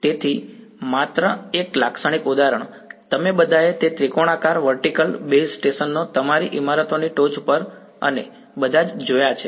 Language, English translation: Gujarati, So, just a typical example, we have all seen those triangular vertical base stations right on your tops of buildings and all